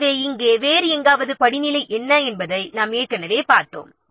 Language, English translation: Tamil, So, we have already seen what the hierarchy somewhere else here